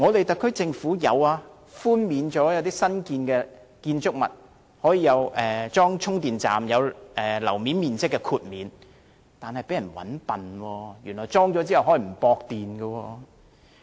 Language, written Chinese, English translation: Cantonese, 特區政府對於安裝充電站的新建築物會批出樓面面積豁免，但卻被佔了便宜，原來安裝充電站後可以不接駁電源。, The SAR Government has granted floor area concessions to developers for the installation of charging facilities in new buildings but its generosity has been exploited and there is actually no electricity supply in the charging facilities installed